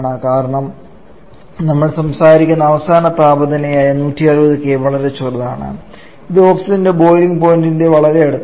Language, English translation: Malayalam, See final temperature is 160 kelvin is just about 5 kelvin higher than the the boiling point of oxygen